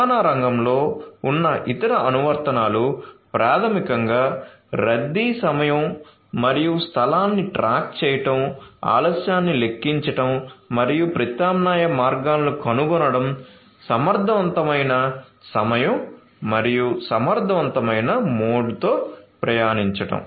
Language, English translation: Telugu, So, different other applications such as in the transportation you know transportation sector basically tracking the time and place of congestion, computing the delay and finding out alternate routes, commuting with efficient time and mode